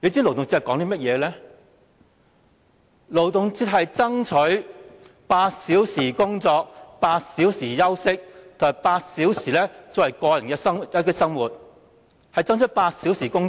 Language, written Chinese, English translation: Cantonese, 勞動節的目的是爭取8小時工作、8小時休息及8小時個人生活，是爭取8小時工作。, The objective of the Labour Day is to strive for eight hours work eight hours rest and eight hours personal life . It strives for eight hours work daily